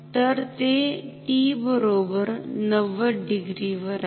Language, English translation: Marathi, So, this is at t equals 90 degree